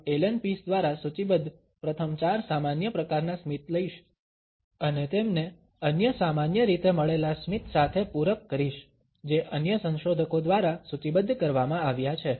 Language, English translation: Gujarati, I would take up the first 4 common types of a smiles listed by Allan Pease and supplement them with some other commonly found types of a smiles which I have been listed by other researchers